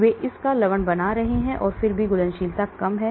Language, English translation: Hindi, They are making salts of this but still solubility is low